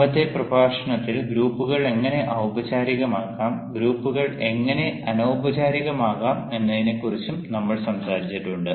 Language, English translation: Malayalam, in the previous lecture we also talked about how groups can be formal